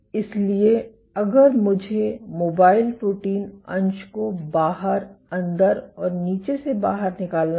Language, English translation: Hindi, So, if I were to draw the mobile protein fraction, outside inside and bottom